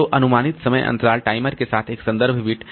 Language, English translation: Hindi, So approximate time, approximate with interval timer plus a reference bit